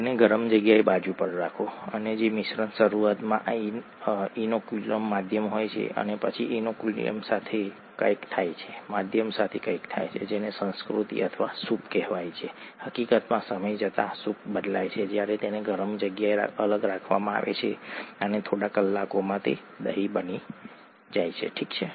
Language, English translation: Gujarati, Close it, set it aside in a warm place, and the mixture that has this inoculum medium initially, and then something happens with the inoculum, something happens with the medium and all that is called the culture or the broth, in fact the, the broth changes as time goes on when it is set aside in a warm place and curd is formed in a few hours, okay